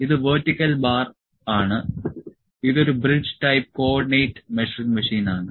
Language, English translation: Malayalam, This is vertical bar; this is a bridge type Co ordinate Measuring Machine